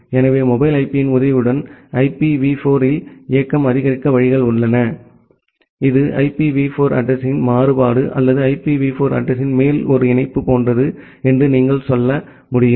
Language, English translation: Tamil, So, there are way to make mobility support in IPv4 with the help of mobile IP, that is the variant of IPv4 address or what you can say that it is like a patch on top of the IPv4 address